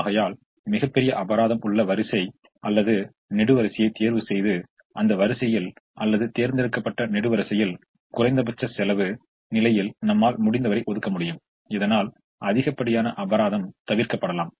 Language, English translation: Tamil, therefore, choose the row or column that has the largest penalty and, in that row or column that has been chosen, allocate as much as you can in the least cost position so that the penalty can be avoided